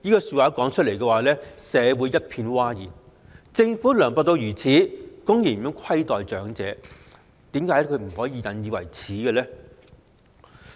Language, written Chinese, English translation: Cantonese, 此話一出，社會一片譁然，政府涼薄至此，公然虧待長者，應該引以為耻！, Such a remark stirred a public outcry in no time . With such a mean Government blatantly mistreating the elderly we should call it a disgrace!